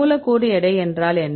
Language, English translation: Tamil, So, what is the molecular weight